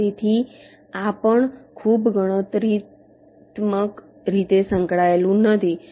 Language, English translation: Gujarati, so this is also not very not computationally involved